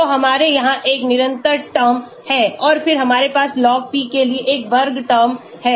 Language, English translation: Hindi, so we have a constant term here and then we have a square term for log p here